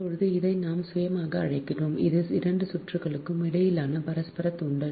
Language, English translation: Tamil, now, this one, this one, we call self and this is that mutual inductance between the two circuit